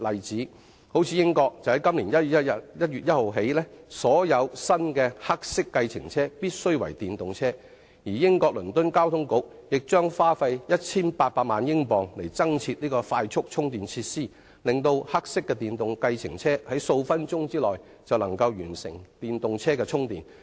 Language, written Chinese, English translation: Cantonese, 如英國由今年1月1日起，所有新的黑色計程車必須為電動車，而英國倫敦交通局將花費 1,800 萬英鎊增設快速充電設施，令黑色電動計程車可在數分鐘內完成充電。, For instance from 1 January this year all new black taxis in the United Kingdom must be EVs . The Transport for London of the United Kingdom will spend £18 million on installing new fast - charging facilities which can fully charge a black electric taxi in just several minutes